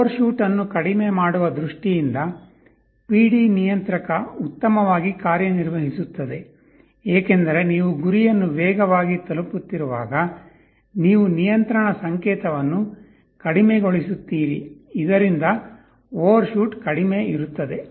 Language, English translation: Kannada, PD controller works better in terms of reducing overshoot because as you are approaching the goal faster, you reduce the control signal so that overshoot will be less